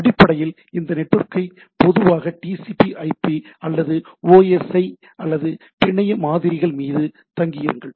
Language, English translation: Tamil, And basically rely on this network typically TCP/IP or OSI or network models and the application can run over the this network, right